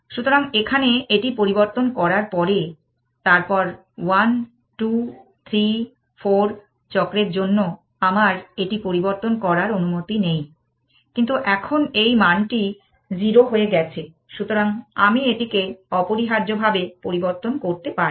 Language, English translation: Bengali, So, after having change this here, then for 1, 2, 3, 4 cycles I am not allowed to change it, but now it, the value is become 0 I am allowed to change it essentially